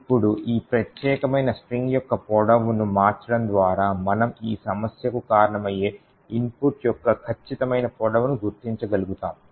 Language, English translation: Telugu, Now by changing the length of this particular string we would be able to identify the exact length of the input which causes this problem